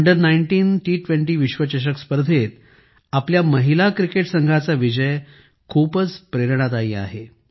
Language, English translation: Marathi, The victory of our women's cricket team in the Under19 T20 World Cup is very inspiring